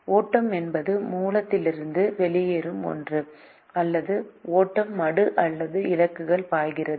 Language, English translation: Tamil, the flow is something that flows out of the source, or the flow is the same as that which flows into the sink or destination